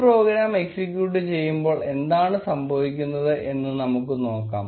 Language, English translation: Malayalam, Let us see what happens when we execute this program